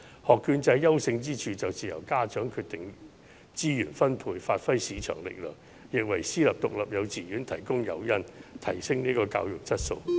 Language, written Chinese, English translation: Cantonese, 學券制優勝之處便是由家長決定資源分配，發揮市場力量，亦為私立獨立幼稚園提供誘因，提升教育質素。, The voucher scheme is desirable in that parents can make decision on the allocation of resources by bringing market forces into play and private independent kindergartens can be incentivized to raise education quality